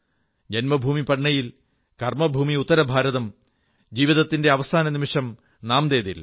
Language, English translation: Malayalam, His birthplace was Patna, Karmabhoomi was north India and the last moments were spent in Nanded